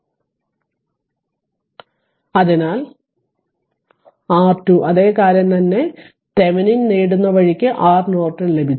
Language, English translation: Malayalam, So, R Norton is nothing, but R Thevenin same thing the way you get Thevenin same way you got R Norton it is same thing right